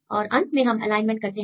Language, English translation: Hindi, And finally, we can make this alignment